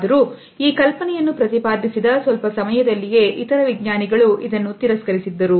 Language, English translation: Kannada, However, this idea was soon rejected by various other scientists